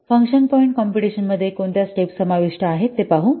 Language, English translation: Marathi, So this is how the function point computation steps they follow